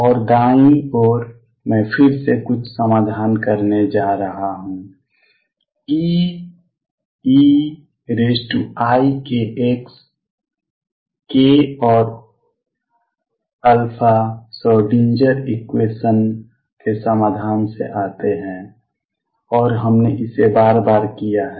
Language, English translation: Hindi, And on the right side, again I am going to have some solution E e raise to i k x k and alpha come from the solution the Schrödinger equation and we have done it again and again